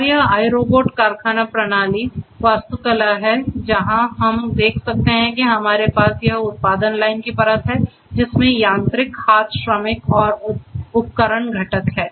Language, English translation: Hindi, And this is this iRobot factory system architecture and here as we can see we have this production line layer which has the mechanical arm workers and equipment components